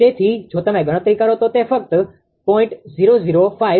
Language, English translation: Gujarati, So, it if you compute it will become just 0